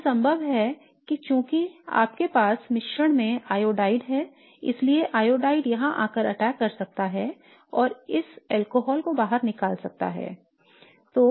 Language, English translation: Hindi, So therefore it is possible that since you have iodide in the mix, iodide can come an attack here and kick out this alcohol